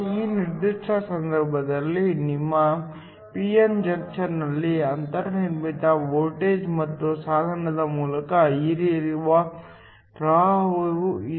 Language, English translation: Kannada, In this particular case, there is a built in voltage within your p n junction and also a current that flows through the device